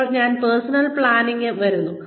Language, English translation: Malayalam, Now, I am coming to personnel planning